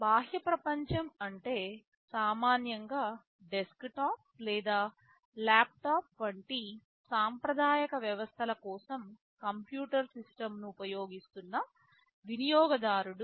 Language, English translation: Telugu, The outside world is typically the user who is using a computer system for conventional systems like a desktop or a laptop